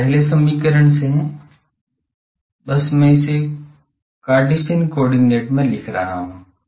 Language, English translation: Hindi, This is from the first equation, just I am writing it in Cartesian coordinate